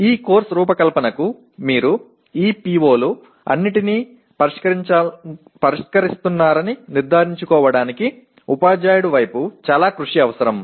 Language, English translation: Telugu, Designing this course will require lot of effort on the part of a teacher to make sure that you are addressing all these POs